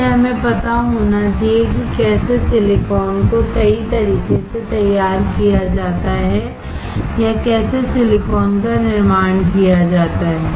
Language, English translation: Hindi, So, we should know how silicon is fabricated all right or how the silicon is manufactured